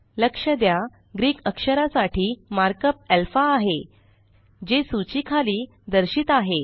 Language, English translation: Marathi, Notice the mark up for the Greek letter as alpha which is displayed below the list